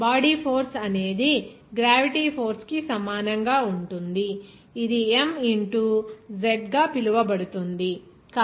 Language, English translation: Telugu, The body force will be equal to what, we know that gravity force that will be called to m into z